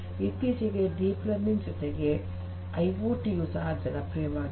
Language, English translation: Kannada, Nowadays, deep learning along with IoT has become very popular together